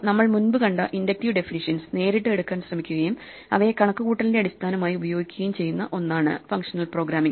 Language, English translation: Malayalam, Functional programming is something which tries to take the kind of inductive definitions that we have seen directly at heart and just use these as the basis for computation